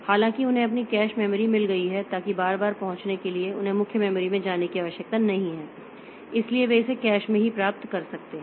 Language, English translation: Hindi, However, they have got their own cache memories so that for repeated access or repair the so they need not go to the main memory so they can get it from the cache itself